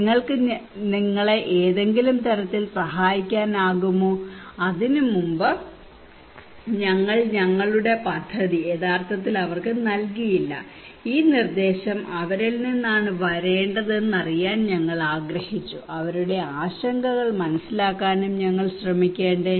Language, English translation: Malayalam, can you help you some manner, before that we did not really put our plan to them we just wanted to know that this proposal should come from them and we should also try to understand them their concerns